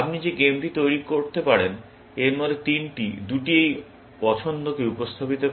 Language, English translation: Bengali, You can construct that game, three out of this; two represent this choice